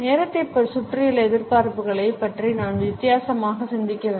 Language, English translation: Tamil, And we really have to think differently about expectations around timing